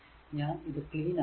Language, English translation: Malayalam, So, let me clean it